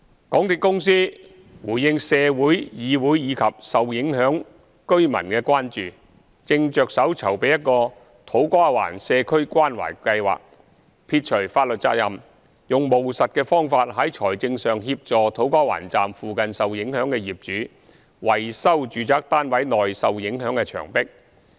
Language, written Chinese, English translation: Cantonese, 港鐵公司回應社會、議會及受影響居民的關注，正着手籌備一個土瓜灣社區關懷計劃，撇除法律責任，用務實的方法在財政上協助土瓜灣站附近受影響的業主維修住宅單位內受影響的牆壁。, In response to the concerns of society this Council as well as the affected residents the MTRCL is setting aside the issue of legal liabilities putting together a community care programme for To Kwa Wan in a pragmatic attempt to provide financial assistance to the owners of units in the residential buildings near the site of To Kwa Wan station so that they can repair the walls of their units affected by relevant works